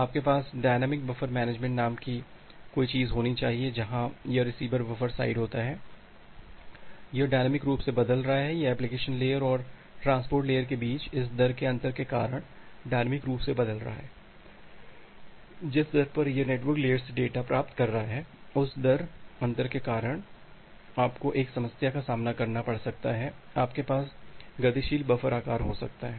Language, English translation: Hindi, You have to have something called a dynamic buffer management where this receivers buffer side, it is changing dynamically, it is changing dynamically because of this rate difference between the application layer and the transport layer, at rate at the rate at which it is receiving the data from the network layer, because of this rate difference you may face a problem you may have dynamically changing buffer size